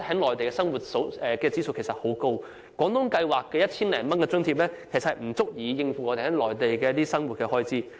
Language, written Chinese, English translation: Cantonese, 內地的生活指數現時十分高，在廣東計劃下的 1,000 多元津貼其實不足以應付內地生活開支。, The standard of living on the Mainland is now very high . The subsidy of some 1,000 under the Guangdong Scheme is actually not enough to cover the living expenses on the Mainland